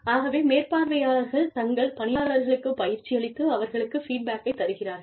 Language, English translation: Tamil, So, the supervisors can be trained, to coach and provide feedback, to the employees